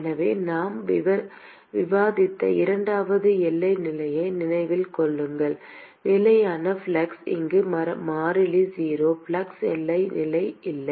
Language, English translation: Tamil, So, remember the second boundary condition we discussed: constant flux where here the constant is 0, there is no flux boundary condition